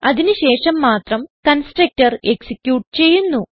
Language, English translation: Malayalam, Only after that the constructor is executed